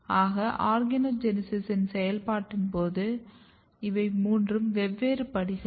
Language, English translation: Tamil, So, these are the three different steps during the process of organogenesis